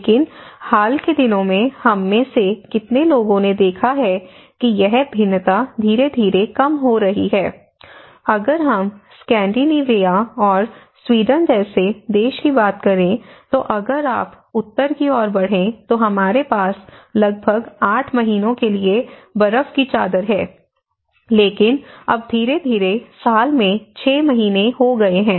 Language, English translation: Hindi, But in the recent times, how many of us have witnessed that this variance has gradually coming down, in fact, if we talk about a country like Scandinavia and Sweden, if you go up north we have the snow cover for about 8 months in an year but now, it has gradually come to 6 months in a year